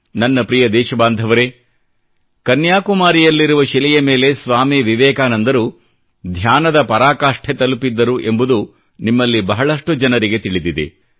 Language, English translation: Kannada, My dear countrymen, many of you must be aware of the rock in Kanyakumari where Swami Vivekanand ji had entered into the meditative state, the spiritual 'Antardhyan'